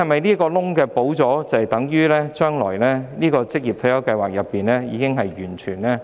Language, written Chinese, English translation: Cantonese, 堵塞漏洞後，是否等於職業退休計劃的保障已經很完善？, After the loopholes have been plugged does it mean the protection under OR Schemes is already perfect?